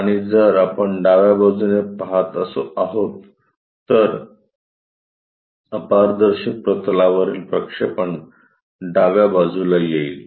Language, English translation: Marathi, And if we are looking from right hand side,the projection on to the opaque plane comes at left side